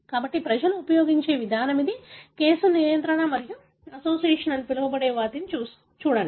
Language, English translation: Telugu, So, this is the approach people use; case, control and do what is called association